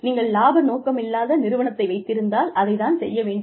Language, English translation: Tamil, If you are a non profit organization, maybe, that is what, you do